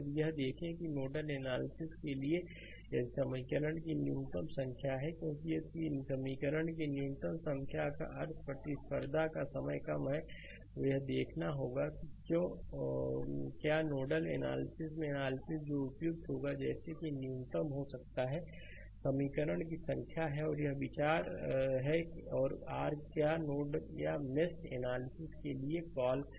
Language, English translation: Hindi, If you see that you for nodal analysis, if you have a minimum number of equation, because if minimum number of equation means your competition time is less right; we have to see that why whether nodal analysis or mesh analysis, which one will be suitable such that you can have minimum number of equation that is the that is that idea for your what you call for nodal or mesh analysis right